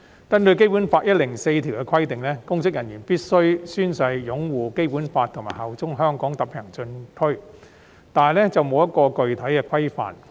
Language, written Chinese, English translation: Cantonese, 根據《基本法》第一百零四條的規定，公職人員必須宣誓擁護《基本法》及效忠香港特別行政區，但缺乏具體的規範。, According to Article 104 of the Basic Law public officers must swear to uphold the Basic Law and bear allegiance to HKSAR but there is a lack of specific regulations